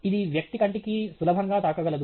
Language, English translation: Telugu, It could easily strike the personÕs eye